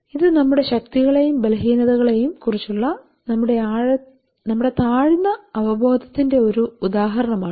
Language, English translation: Malayalam, So this is sure depiction of our low level of awareness about our strength and weaknesses